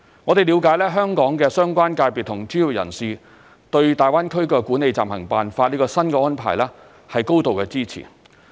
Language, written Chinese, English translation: Cantonese, 我們了解香港的相關界別和專業人士對大灣區《管理暫行辦法》這項新安排表示高度支持。, We understand that the relevant sectors and professionals highly support the new arrangement of the Interim Guidelines implemented in the Greater Bay Area